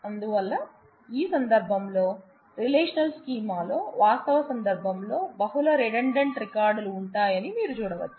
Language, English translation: Telugu, So, you can see that in on instances of this, relational schema you will have multiple redundant records, in the actual instance